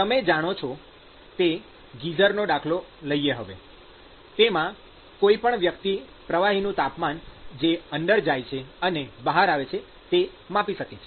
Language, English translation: Gujarati, So, whenever you have if you take the example of the geyser, all that you can measure is the temperature of the fluid that comes in and goes out